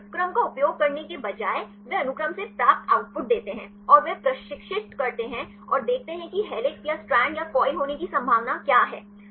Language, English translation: Hindi, Instead of using the sequence, they give the output obtain from the sequence and they train and see what the possibility of having helix or strand or coil